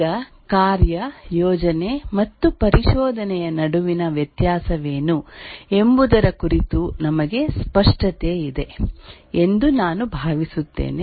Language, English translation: Kannada, Now I hope that we are clear about what is the difference between a task, a project and an exploration